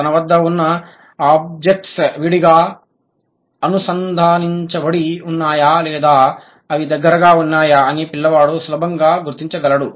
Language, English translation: Telugu, The child can easily figure out how whether the objects are loosely connected or they are close fit